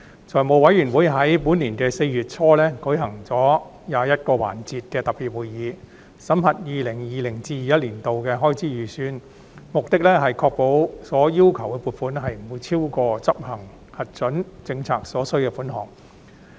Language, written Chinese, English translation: Cantonese, 財務委員會在本年4月初舉行了21個環節的特別會議，審核 2020-2021 年度的開支預算，目的是確保所要求的撥款，不會超過執行核准政策所需的款項。, The Finance Committee held a total of 21 sessions of special meetings in early April this year to examine the Estimates of Expenditure 2020 - 2021 with the aim to ensure that the authorities are seeking a provision no more than is necessary for the execution of the policies approved